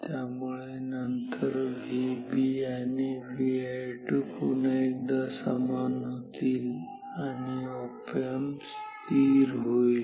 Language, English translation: Marathi, So, then V B will become same as V i 2 once again and then the op amp will stay steadily ok